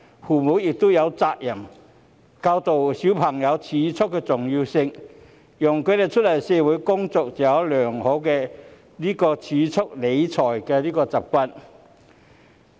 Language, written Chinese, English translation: Cantonese, 父母也有責任教導孩子儲蓄的重要性，讓他們出來社會工作後，擁有良好的儲蓄理財習慣。, Parents are also duty - bound to teach their children the importance of savings so that they will have good money management and savings habit after they start to work in society